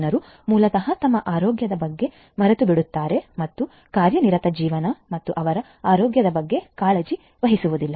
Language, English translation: Kannada, People basically tend to forget about their health and taking care of their health due to busy life and so on